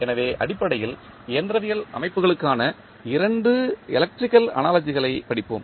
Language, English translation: Tamil, So, basically we will study 2 electrical analogies for mechanical systems